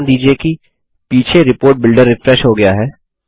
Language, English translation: Hindi, Notice that the background Report Builder has refreshed